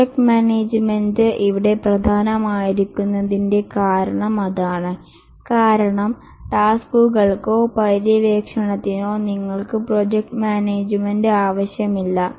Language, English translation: Malayalam, And that's the reason why project management is important here because for the tasks or the exploration you don't need project management